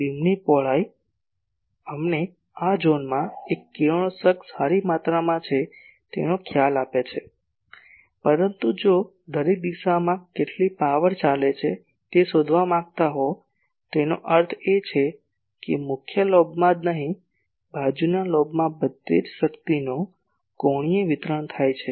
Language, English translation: Gujarati, Beam width gives us an idea ok in this zone there are good amount of radiation, but if want to find out in each direction how much power is going; that means, the angular distribution of power throughout not only in the main lobe , in the side lobe everywhere